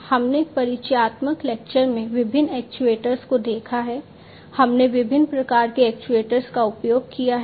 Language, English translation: Hindi, We have seen different actuators in the introductory lecture, we have seen different types of actuators being used